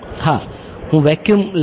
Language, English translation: Gujarati, Yeah, I am taking vacuum